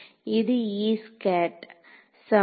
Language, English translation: Tamil, So, this is going to be